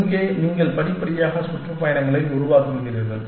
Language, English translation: Tamil, Here you are constructing the tours gradually